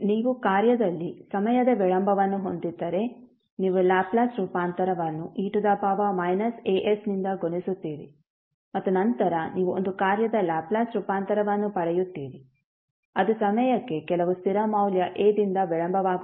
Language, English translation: Kannada, So in this if you have a time delay in function, you will simply multiply the Laplace transform by e to the power minus a s and then you will get the Laplace transform of a function which is delayed by delayed in time by some constant value a